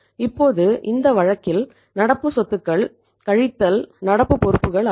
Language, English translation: Tamil, Now in this case current assets minus current liabilities